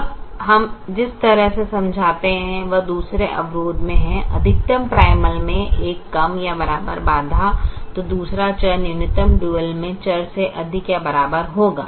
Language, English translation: Hindi, now the way we explain is: in the second constraint is a less than or equal to constraint in a maximization primal, then the second variable will be a greater than or equal to variable in the minimization dual